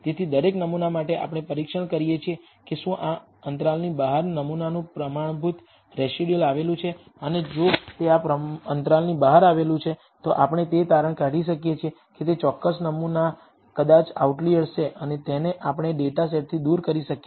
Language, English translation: Gujarati, So, for each sample, we test whether the sample standardized residual lies outside of this interval and if it lies outside this interval, we can conclude that that particular sample maybe an outlier and remove it from our data set